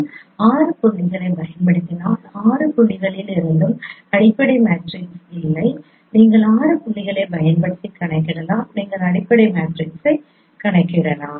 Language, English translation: Tamil, So using the six point, no fundamental matrix from six points you can compute using these six points you can compute fundamental matrix